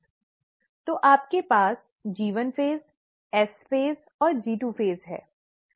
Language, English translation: Hindi, So you have the G1 phase, the S phase and the G2 phase